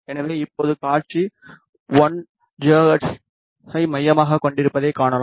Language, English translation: Tamil, So, now, you can see that the display has been centered to 1 gigahertz